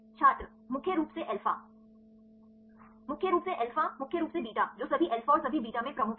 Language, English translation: Hindi, Predominantly alpha Predominantly alpha predominantly beta which interactions are dominant in all alpha and all beta